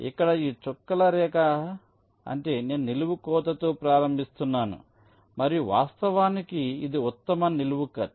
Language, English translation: Telugu, so here these dotted line means i am starting with a vertical cut and in fact, this is the best vertical cut